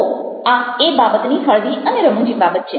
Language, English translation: Gujarati, so that's the light and humorous side of things